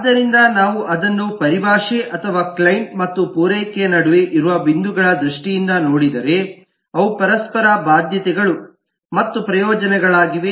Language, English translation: Kannada, so if we just look at it in terms of the terminology or points that they are, between the client and the supply they will be mutual obligations and benefits